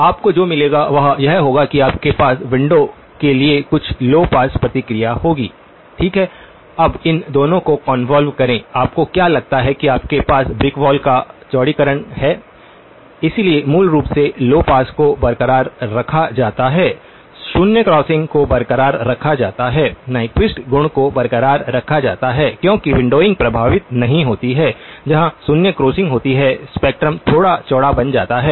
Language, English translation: Hindi, What you will find is that you will have some low pass response for the window, okay now convolve these two; what you find is that you have a widening of the brick wall, so basically the low pass property is retained, zero crossings are retained, the Nyquist property is retained because the windowing does not affect where the zero crossings occur, the spectrum becomes a little bit wider